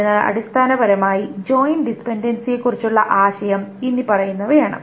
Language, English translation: Malayalam, So essentially the idea of joint dependency is the following